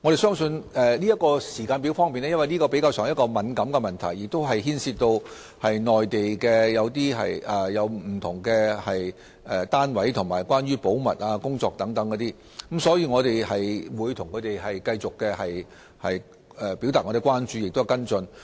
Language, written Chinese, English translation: Cantonese, 在時間表方面，由於這是比較敏感的問題，亦涉及內地不同單位及保密工作等，因此我們會向他們繼續表達關注及作出跟進。, On the matter of timetable since it is a sensitive issue involving various Mainland units and confidentiality we will continue to express our concern to them and follow it up